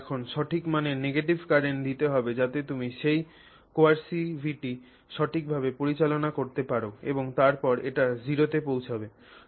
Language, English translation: Bengali, You have to now put the negative current and also of the correct value so that you have managed that coercivity correctly and then brought it to zero